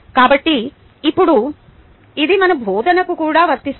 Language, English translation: Telugu, so now this applies to our teaching also